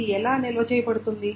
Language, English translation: Telugu, And how is it stored